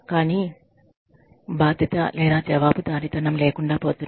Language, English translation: Telugu, But, the level of responsibility or accountability, seems to be missing